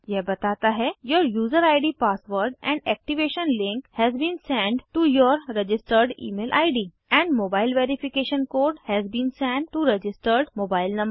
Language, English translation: Hindi, Let me make this bigger Says that your user id password and activation link has been send to your registered Email id and mobile verification code has been send to registered mobile number